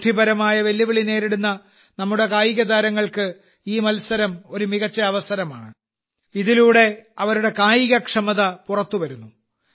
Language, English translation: Malayalam, This competition is a wonderful opportunity for our athletes with intellectual disabilities, to display their capabilities